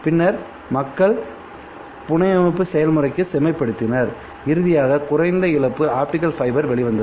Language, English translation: Tamil, Then people refine the fabrication process and finally what came out was a low loss optical fiber